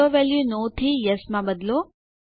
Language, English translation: Gujarati, Change AutoValue from No to Yes